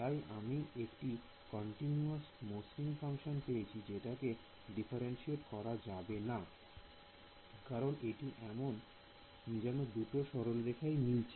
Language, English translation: Bengali, So, I have got a smooth function continuous I mean it's a continuous function its not differentiable because we can see its like 2 lines meeting here